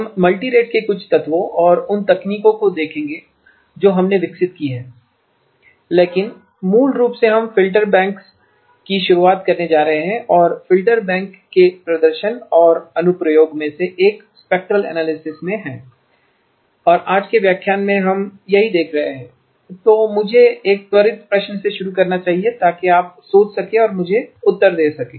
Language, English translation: Hindi, We will look at some elements of the Multirate and the techniques that we have developed, but basically we are going to introduce filter banks and one of the manifestations or application of filter bank is in spectral analysis and that is what we have been looking at in today’s lecture